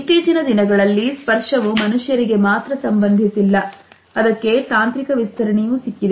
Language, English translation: Kannada, Nowadays we find that touch is not only related to human beings only, it has got a technological extension also